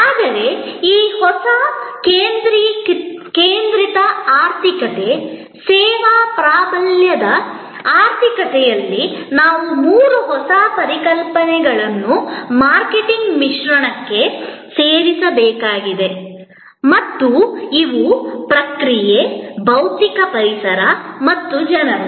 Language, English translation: Kannada, But, in this new service focused economy, service dominated economy, there are three new concepts that we have to add to the marketing mix and these are process, physical environment and people